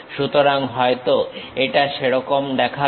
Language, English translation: Bengali, So, maybe it looks like that